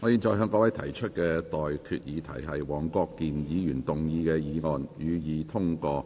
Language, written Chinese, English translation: Cantonese, 我現在向各位提出的待決議題是：黃國健議員動議的議案，予以通過。, I now put the question to you and that is That the motion moved by Mr WONG Kwok - kin be passed